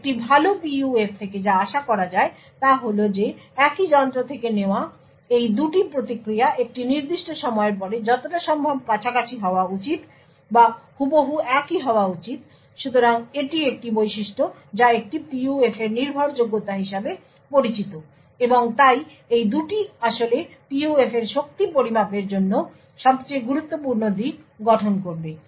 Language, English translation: Bengali, And what is expected of a good PUF is that these 2 responses taken from the same device after a period of time should be as close as possible or should be exactly identical, So, this is a feature which is known as reliability of a PUF and therefore these 2 would actually form the most critical aspects for gauging the strength of PUF